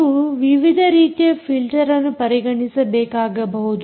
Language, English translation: Kannada, you may have to consider different types of filters